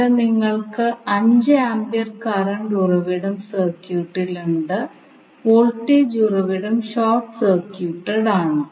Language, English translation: Malayalam, Here you have 5 ampere current source back in the circuit and the voltage source is short circuited